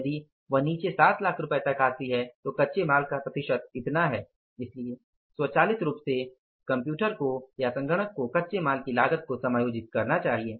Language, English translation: Hindi, If they come down to 7 lakhs then the percentage of the raw material is this much so automatically the system should adjust the cost of raw material